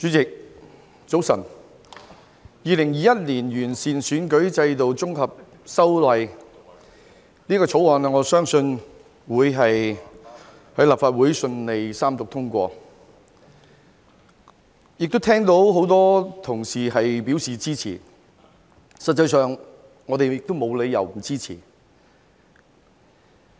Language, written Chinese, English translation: Cantonese, 我相信《2021年完善選舉制度條例草案》會在立法會順利三讀通過，我聽到很多同事表示支持，事實上，我們亦沒有理由不支持。, I believe the Improving Electoral System Bill 2021 the Bill will be read for the Third time and passed by the Legislative Council smoothly . I have heard many Honourable colleagues express their support and in fact there is no reason why we should not support it